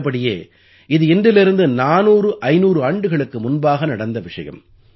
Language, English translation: Tamil, Actually, this is an incident about four to five hundred years ago